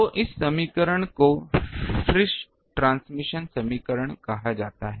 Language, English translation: Hindi, So, this equation is called Friis transmission equation